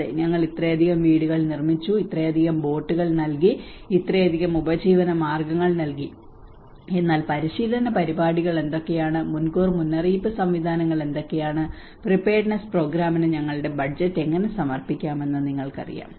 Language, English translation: Malayalam, Yes, we have constructed this many houses, we have given this many boats, we have given this many livelihoods, but before what are the training programs, what are the early warning systems you know how we can actually dedicate our budget in the preparedness programs